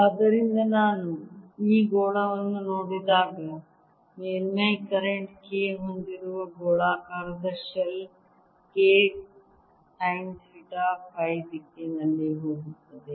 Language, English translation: Kannada, so you see, when i look at this sphere, a spherical shell that has current surface current k, going like k sine theta in phi direction